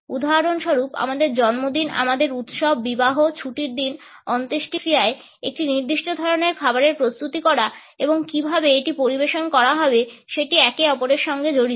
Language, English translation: Bengali, For example, our birthdays, our festivals, weddings, holidays, funerals are associated with a particular type of the preparation of food and how it is served